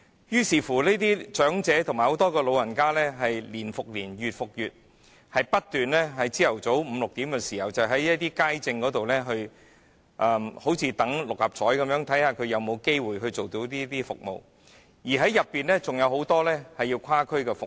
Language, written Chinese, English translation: Cantonese, 於是，這些長者年復年，月復月，不斷在早上五六時排隊看街症，就像等六合彩開彩般，看看自己有沒有機會獲得這些服務，當中還有許多人須跨區使用服務。, Therefore year after year and month after month these elderly people have to wait continually for outpatient service at five or six oclock in the morning just like waiting for the drawing of the Mark Six lottery to see if they have any chance of getting the service . Many people among them even have to cross districts to use such service